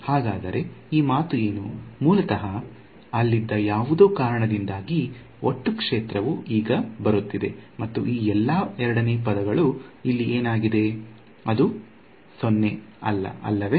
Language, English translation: Kannada, So what is this saying, the total field is now coming due to something that was originally there and where do all of these the second term over here; where is it non 0